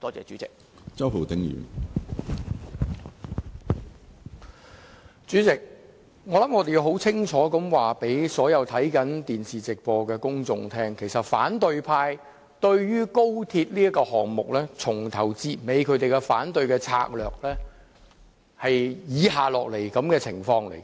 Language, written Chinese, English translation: Cantonese, 主席，我想我們要清楚告訴所有看着電視直播的公眾，其實對於高鐵這項目，反對派由始至終的反對策略是這樣的。, President I think we must clearly explain to the television live broadcast audiences of the tactic the opposition camp has been using all the way in its anti - XRL campaign